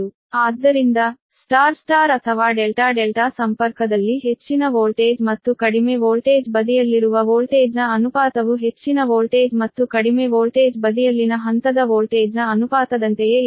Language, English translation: Kannada, so in star star or delta delta connection, the ratio of the voltage on high voltage and low voltage side at the same as the ratio of the phase voltage on the high voltage and low voltage side